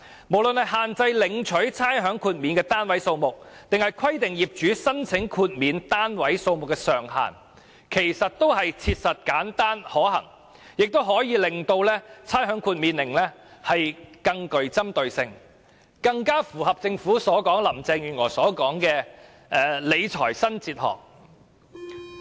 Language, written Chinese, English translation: Cantonese, 無論是限制領取差餉豁免的單位數目，或是規定業主須申請豁免單位數目的上限，均切實、簡單、可行，亦可令差餉豁免更能針對有需要的人，更符合政府和林鄭月娥所說的"理財新哲學"。, The measures of limiting the number of properties eligible for rates concession or limiting the number of properties that an owner can apply for rates concession are practicable simple and feasible . As such the rates concession measure can be more targeted to help the needy and better tie in with the new fiscal philosophy advocated by the Government and Carrie LAM